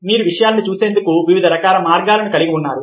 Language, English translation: Telugu, you have different ways of seeing things